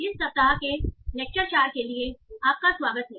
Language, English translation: Hindi, So welcome back for the lecture 4 of this week